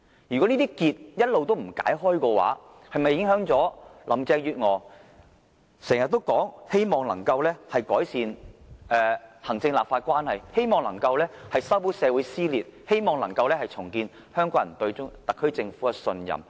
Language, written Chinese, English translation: Cantonese, 如果這些結一直不解，是否影響林鄭月娥經常說的工作目標，即希望能夠改善行政立法關係，希望能夠修補社會撕裂，希望能夠重建香港人對特區政府的信任？, If the worry is not allayed will there be any impact on Carrie LAMs attempts to achieve her avowed goals―improving the executive - legislature relationship healing the split of society and restoring the peoples confidence in the SAR Government?